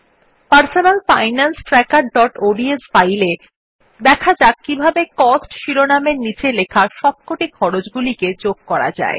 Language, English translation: Bengali, In our personal finance tracker.ods file, let us see how to add the cost of all the expenses mentioned under the heading, Cost